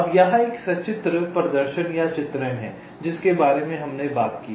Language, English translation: Hindi, here there is a pictorial demonstration or illustration of what exactly we have talked about